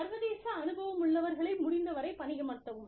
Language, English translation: Tamil, Hire people, with international experience, as far as possible